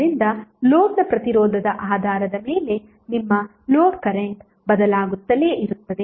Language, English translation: Kannada, So based on the resistance of the load your load current will keep on changing